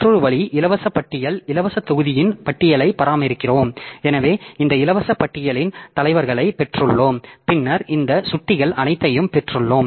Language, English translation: Tamil, So, another way is the free list so we maintain a list of free blocks so we have got a list heads of this free list and then we have got all these pointers by traversing this list we can get the next free block that is there in the file system